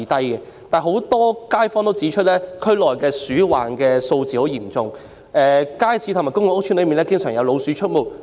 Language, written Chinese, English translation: Cantonese, 然而，有不少該區居民指出，區內鼠患嚴重，街市及公共屋邨內經常有老鼠出沒。, However quite a number of residents in that district have pointed out that rodent infestation in the district is serious with rats frequently spotted in markets and public housing estates